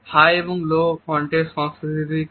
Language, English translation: Bengali, What is high and low context culture